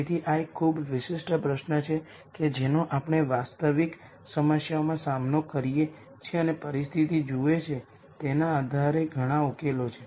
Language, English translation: Gujarati, So, this is a very typical question that we deal with in real problems and there are many solutions depending on the situation that one looks at